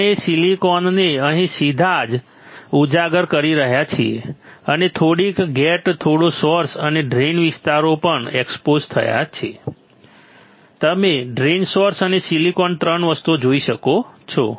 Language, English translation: Gujarati, We can have silicon directly exposed here right and little bit of gate little bit of source and drain areas are also exposed you can see drain source and silicon three things you can see right